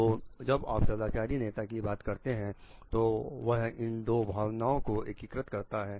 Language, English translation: Hindi, So, when you are talking of moral leaders it tries to integrate these two feel